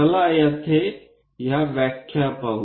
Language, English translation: Marathi, Let us here look at this terminology